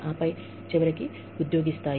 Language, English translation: Telugu, And then, eventually, employee level